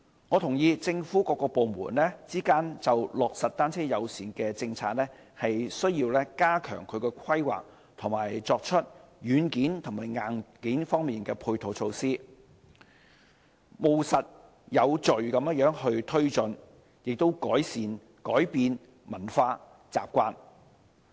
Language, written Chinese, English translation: Cantonese, 我認同政府各部門之間就落實單車友善政策需要加強規劃，以及作出軟件和硬件方面的配套措施，務實有序地推進，以及改變文化習慣。, I concur that in implementing a bicycle - friendly policy various government departments need to step up their planning efforts introduce software and hardware ancillary measures to be taken forward in a pragmatic and orderly manner and change cultural preferences